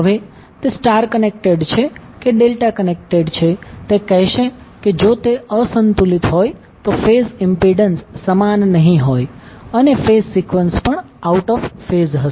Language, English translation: Gujarati, Now whether it is star connected or delta connected will say that if it is unbalanced then the phase impedance will not be equal and the phase sequence will also be out of phase